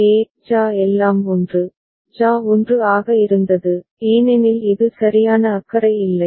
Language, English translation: Tamil, For example, JA; JA was all 1, JA was 1 because this was a don’t care right